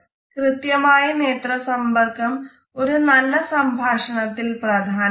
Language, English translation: Malayalam, Positive eye contact is important in our interaction with other people